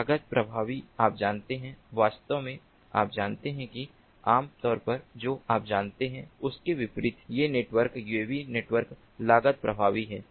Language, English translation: Hindi, ah, in fact, you know, unlike what would normally ah be believed, you know, these networks, uav networks, are cost effective